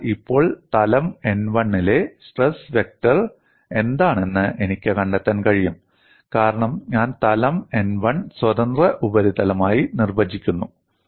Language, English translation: Malayalam, Now, I can find out what is the stress vector on plane n 1, because I define plane n 1 as the free surface